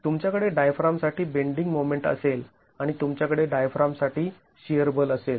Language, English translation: Marathi, You will have a bending moment for the diaphragm and you will have a shear force for the diaphragm